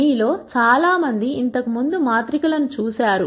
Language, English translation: Telugu, Many of you would have seen matrices before